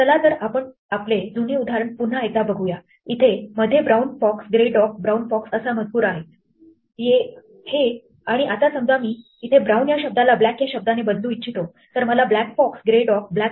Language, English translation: Marathi, Once again let us see our old example; s is "brown fox grey dog brown fox" and now supposing I want to replace "brown" by "black", then I get 'black fox grey dog black fox